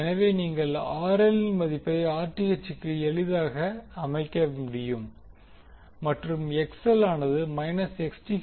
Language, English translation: Tamil, You just simply put the value of RL as Rth and XL is equal to minus Xth